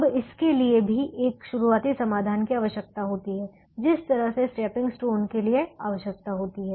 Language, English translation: Hindi, now, this also requires a starting solution, just as stepping stone required the starting solution